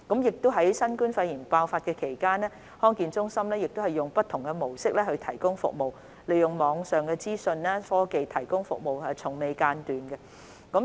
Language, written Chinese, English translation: Cantonese, 在新冠肺炎疫情爆發期間，康健中心以不同的模式提供服務，從未間斷，包括利用網上資訊科技提供服務。, During the outbreak of coronavirus DHCs has been providing services non - stop in different ways including the use of online information technology